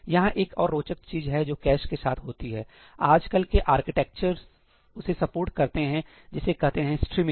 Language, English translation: Hindi, So, there is another interesting thing that happens with caches ; what modern day architectures support is something called streaming